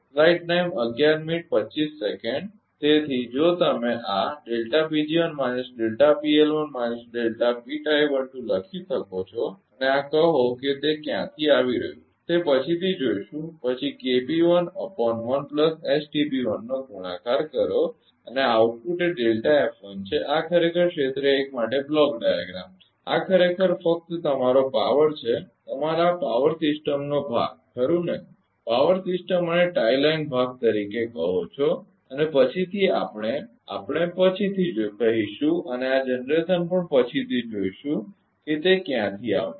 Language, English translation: Gujarati, So, this is minus delta P L 1 and this is say it is coming from somewhere will see later it is minus delta P tie 1 2 then into K p 1 upon 1 1 plus S T p 1 and output is that delta F 1 this is actually block diagram for area 1 this is actually only power your what you call this power system part right, power system and tie line part and later we will later later and this generation also later will see from where it is coming when you will do for area 2 so, and the complete block diagram